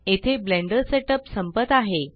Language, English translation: Marathi, This completes the Blender Setup